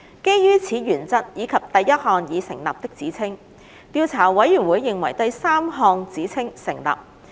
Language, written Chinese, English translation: Cantonese, 基於此原則以及第一項已成立的指稱，調查委員會認為第三項指稱成立。, Based on this principle and the first substantiated allegation the Investigation Committee considers that the third allegation has been substantiated